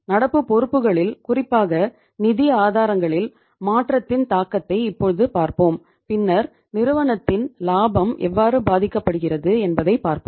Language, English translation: Tamil, Now we will see the impact of change in the say current liabilities especially the sources of funds and then we see that how the profitability of the firm is impacted